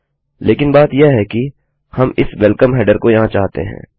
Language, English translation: Hindi, But the point is that we want this welcome header here